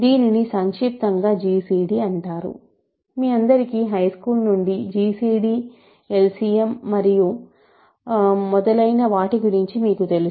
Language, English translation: Telugu, So, this is short form is gcd that you all are familiar from high school, right we know about gcd, LCM and so on